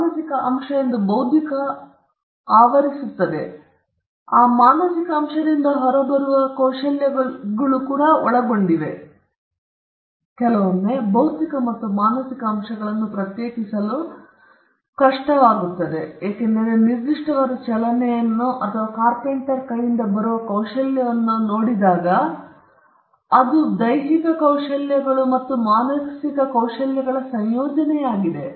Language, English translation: Kannada, Intellectual covers that mental element; it would also cover skills that come out of that mental element; it sometimes hard to segregate the physical and the mental element, because when there is a particular move or a skill that comes out of the carpenter’s hand, it is a combination of certain physical skills and mental skills